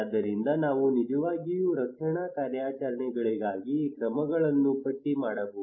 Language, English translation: Kannada, So we actually listed down the actions for rescue operations